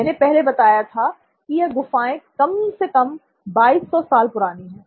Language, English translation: Hindi, These caves are 2200 years old at least as I have already mentioned